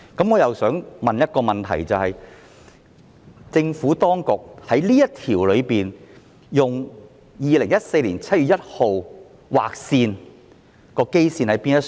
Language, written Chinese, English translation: Cantonese, 我的問題是，政府當局就這項條文以2014年7月1日作為劃線的基礎在哪呢？, My question is What is the basis on which the line of 1 July 2014 is drawn by the Administration?